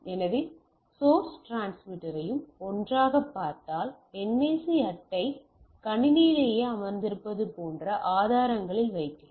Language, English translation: Tamil, So, and if you look at the source and transmitter at together we put in the sources like your NIC card is sitting on your system itself